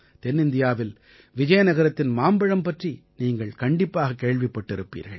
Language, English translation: Tamil, You must definitely have heard about the mangoes of Vizianagaram in South India